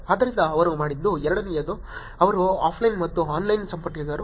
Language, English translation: Kannada, So the second one what they did was they connected the offline and the online